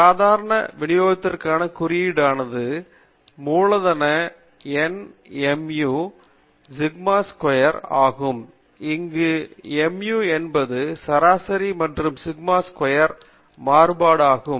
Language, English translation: Tamil, The notation for the normal distribution is capital N mu comma sigma squared, where mu is the mean and sigma squared is the variance